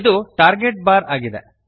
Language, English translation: Kannada, This is the Target bar